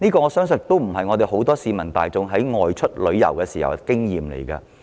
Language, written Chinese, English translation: Cantonese, 我相信這並非市民大眾外出旅遊時所得的印象。, I do not believe this is an impression got by people during outbound travels